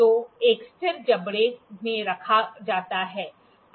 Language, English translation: Hindi, It is placed in a fixed jaw